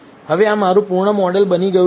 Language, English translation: Gujarati, Now, this becomes my full model